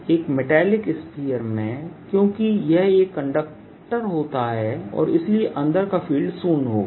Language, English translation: Hindi, in a metallic sphere, because that's made of a conductor, the field inside would be zero, right